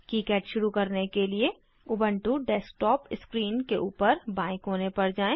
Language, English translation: Hindi, To start KiCad, Go to the top left corner of Ubuntu desktop screen